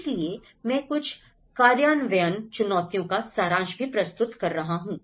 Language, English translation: Hindi, So, I am also summarizing a few implementation challenges